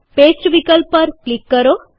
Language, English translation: Gujarati, Click on the Paste option